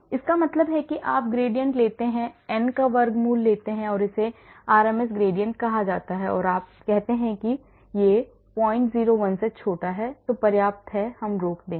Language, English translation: Hindi, That means you take the gradient take the square root of n and that is called the RMS gradient and then you say if it is smaller than